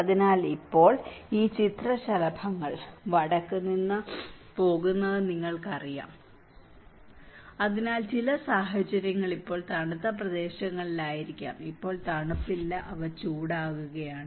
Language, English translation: Malayalam, So, now these butterflies you know it is heading from north so, maybe certain conditions are now in the colder areas are no more cold now, they are getting warmer